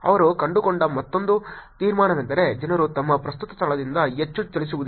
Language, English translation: Kannada, Another conclusion that they also found was people do not move a lot from their current location